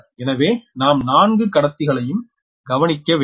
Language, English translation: Tamil, so you have to consider the four conductors